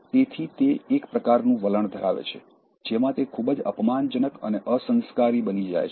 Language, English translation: Gujarati, So, he has a kind of attitude, in which he becomes very offensive and rude